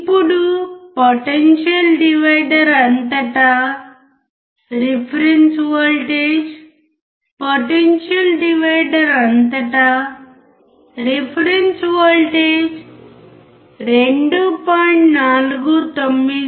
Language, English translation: Telugu, Now, you see the reference voltage across the potential divider the reference voltage across the potential divider is 2